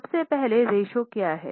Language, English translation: Hindi, First of all what is a ratio